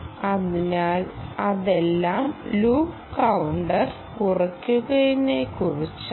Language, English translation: Malayalam, so this is all about loop counter decrementing